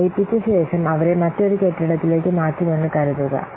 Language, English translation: Malayalam, So, after merging, suppose they will be shifted to another building